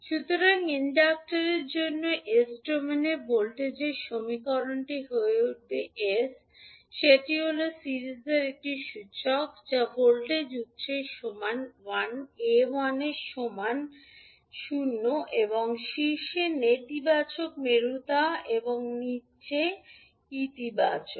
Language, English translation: Bengali, So, the equation for voltage in s domain for the inductor will become sl that is the inductor in series with voltage source equal to l at l into I at 0 and with negative polarity on top and positive in the bottom